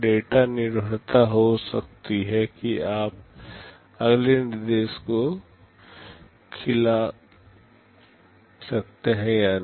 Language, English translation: Hindi, There can be data dependency whether you can feed the next instruction or not